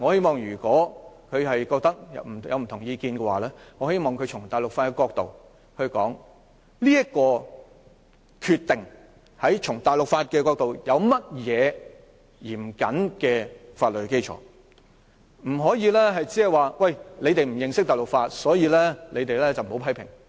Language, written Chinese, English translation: Cantonese, 她若有不同意見，我希望她從大陸法的角度說說這個決定有何嚴謹的法律基礎，不可以只說："你們不認識大陸法便不要批評"。, If she holds a different view I hope she can explain the stringent legal basis of this Decision to us from the angle of civil law rather than telling us not to make criticisms when we know nothing about civil law